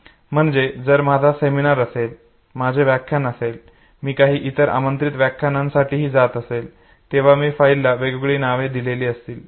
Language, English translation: Marathi, So if I have a seminar, whether I have a class, whether I am going for some other invited talk, I give different file names okay